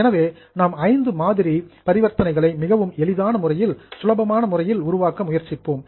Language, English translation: Tamil, So, we are just trying to make it very simple for five sample transactions, which are very easy transactions, but very basic